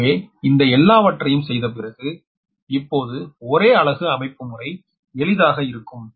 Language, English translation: Tamil, so after making all these things now, per unit system will be easier, right